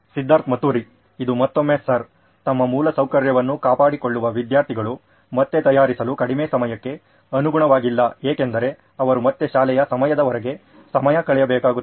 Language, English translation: Kannada, This again sir, students maintaining their infrastructure is not in line with less time to prepare again because they will have to spend time outside the school time again